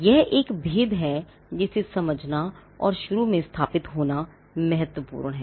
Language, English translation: Hindi, Now, this is a distinction that is important to be understood and to be established at the outset